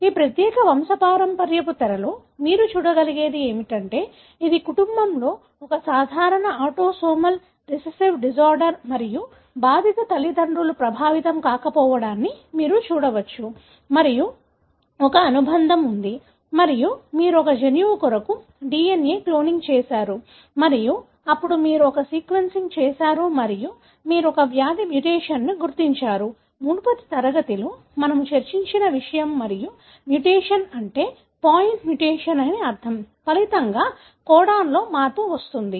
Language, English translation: Telugu, So, what you can see in this particular pedigree in the screen is that it is a typical autosomal recessive disorder in the family and you can see that affected parents are unaffected and there is a consanguinity and you have done a DNA cloning for a gene and then you have done a sequencing and you identified a disease mutation, something that we discussed in the previous class and the mutation is that you have a point mutation, resulting in the change in the codon